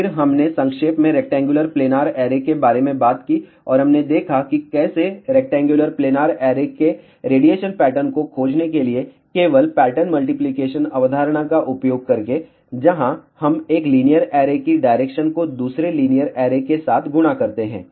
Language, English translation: Hindi, Then, we briefly talked about rectangular planar array and we saw how to find the radiation pattern of the rectangular planar array, by simply using the pattern multiplication concept, where we multiply the directivity of 1 linear array with the another linear array